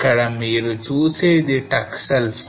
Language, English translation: Telugu, So here which you see is your Taksal fault